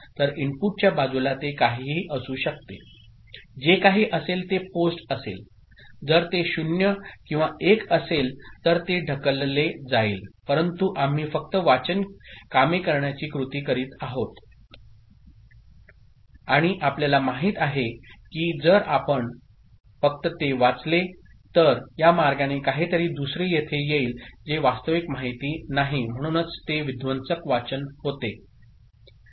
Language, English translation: Marathi, So, at the inputs side it could be anything, whatever is there that would be post if it is 0 or 1 it will be pushed ok, but we are just doing the reading operation and as we know that the way if we just read it this way something else will come here which is not the actual data so that is, that is why it becomes a destructive reading ok